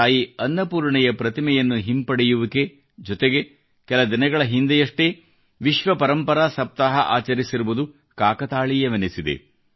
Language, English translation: Kannada, There is a coincidence attached with the return of the idol of Mata Annapurna… World Heritage Week was celebrated only a few days ago